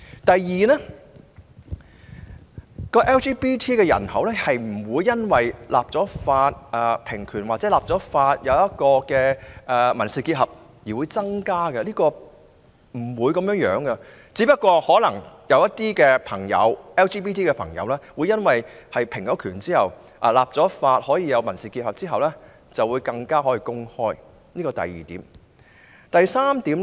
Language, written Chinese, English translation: Cantonese, 第二 ，LGBT 人口不會因為立法平權或立法賦予民事結合的權利而增加，情況不會如此，而可能只會出現更多 LGBT 朋友在平權或立法獲賦予民事結合的權利後公開自己的性傾向。, Second the LGBT population will not increase as a result of enacting egalitarian legislation or laws prescribing the right to civil union . This will not be the case . Rather the only probable result may just be the coming forward of more LGBT people to disclose their sexual orientations after the enactment of egalitarian legislation or laws prescribing the right to civil union